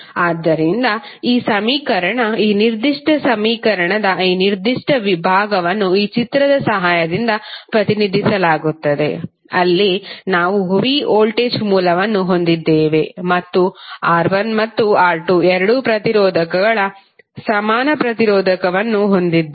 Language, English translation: Kannada, So this equation, this particular segment of the this particular equation will be represented with the help of this figure, where we have a v voltage source and the equivalent resistor of both of the resistors both R¬1 ¬ and R¬2¬